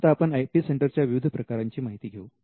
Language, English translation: Marathi, Now, let us look at the type of IP centres you can have